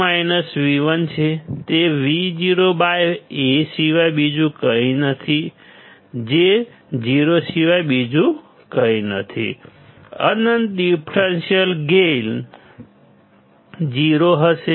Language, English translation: Gujarati, It is nothing but Vo by A which is nothing but 0; infinite differential gain would be 0